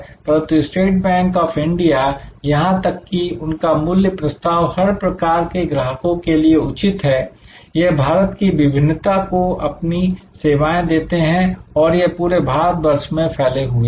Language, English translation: Hindi, But, State Bank of India, even their value proposition is that deserve all kinds of customers, this serve the Diversity of India, they are spread all over India